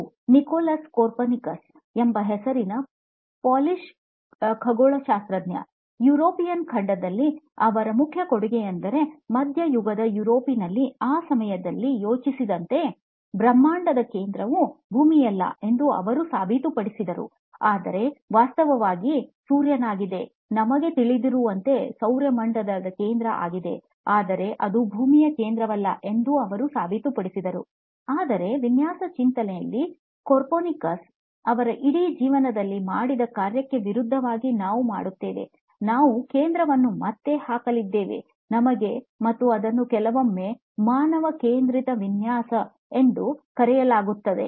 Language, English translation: Kannada, This is a Polish astronomer by the name Nicolas Copernicus, his main contribution as seen in the European continent was that he proved that the centre of the universe is not Earth as it was thought at the time in mediaeval Europe, but is actually the Sun, the solar system centre as we know it, but he proved that it is Earth is not the centre, so, but in design thinking, we do the opposite of what Copernicus did in his entire life, we are going to put the centre back on us and that is what is sometimes referred to as human centred design